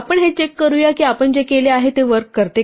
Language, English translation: Marathi, Once again let us check that what we have done actually works